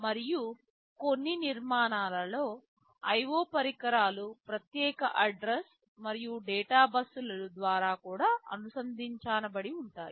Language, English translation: Telugu, And in some architectures the IO devices are also connected via separate address and data buses